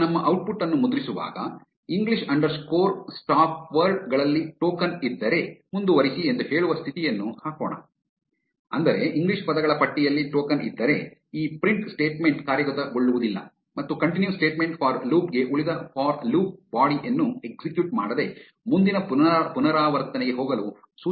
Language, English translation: Kannada, Now, while printing our output, let us put an if condition saying if token is present in english underscore stopwords, continue; that is if the token is present in the list of english words, this print statement will not execute and the continue statement instructs the for loop to go to the next iteration without executing the rest of the for loop body